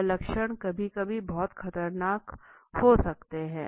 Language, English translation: Hindi, So, symptoms sometimes are very dangerous